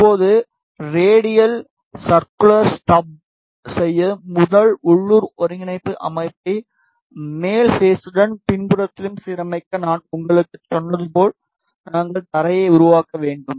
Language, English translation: Tamil, Now to make the radial circular strip enable first local coordinate system align it with the top face ok, and on the back side as I told you we need to make the ground